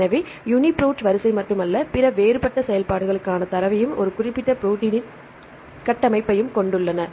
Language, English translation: Tamil, So, UniProt contains not only the sequence, it contains the data for other different functions and the structure of a particular protein